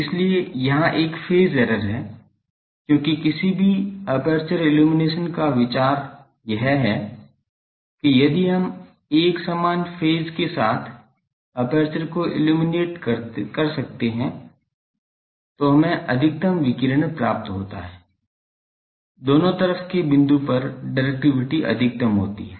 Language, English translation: Hindi, So, there is a phase error here, because the idea of any aperture illumination is that, if we can at illuminate the aperture with an uniform phase, then we get the maximum radiation directivity is maximum at the both side point